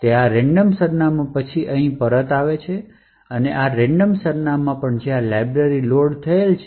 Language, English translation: Gujarati, So, this random address then returns here and at this random address is where the library is loaded